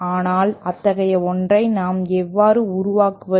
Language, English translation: Tamil, But how do we build such a thing